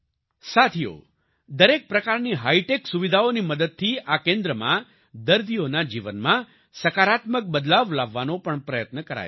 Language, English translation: Gujarati, Friends, through all kinds of hitech facilities, this centre also tries to bring a positive change in the lives of the patients